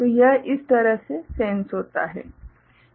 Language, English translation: Hindi, So, this is the way it is sensed